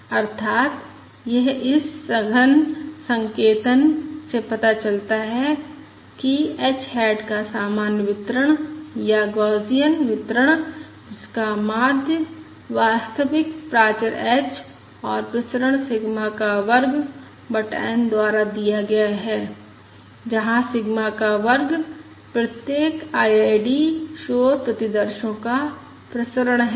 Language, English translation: Hindi, That is, this compact notation shows that h hat is normally distributed, or Gaussian distributed, with mean given by the true parameter h and variance given by sigma square over n, where sigma square is the variance of the um of each of the IID noise samples